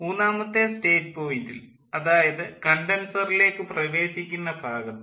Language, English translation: Malayalam, in state point three, that is the entry to the condenser